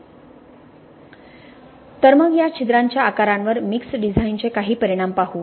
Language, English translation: Marathi, Alright, so let us look at some effects here of mix design on these pore sizes